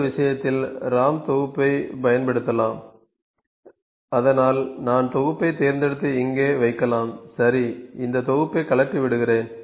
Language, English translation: Tamil, We can use assembly in this case so, I can pick assembly and put it here,ok let me take this off assembly